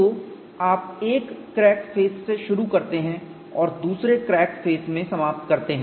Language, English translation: Hindi, So, you start from one crack face and end in another crack face